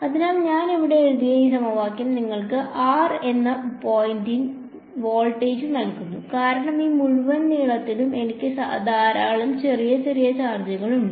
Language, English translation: Malayalam, So, this equation that I have written here this gives you the voltage at a point r because, I have lots of small small charges along this entire length over here